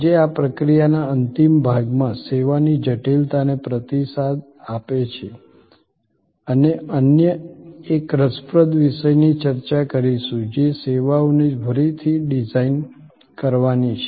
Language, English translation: Gujarati, Today, in the concluding section of this process responds to service complexity, we will discuss another interesting topic which is the redesigning services